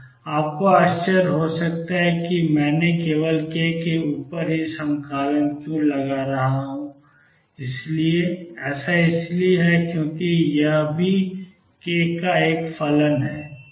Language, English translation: Hindi, You may wonder why I am integrating only over k, it is because omega is also a function of k